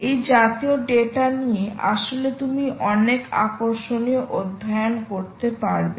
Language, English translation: Bengali, with so many, with this kind of data, you can actually do some very interesting studies ah